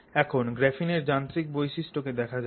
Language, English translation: Bengali, Mechanical properties of graphene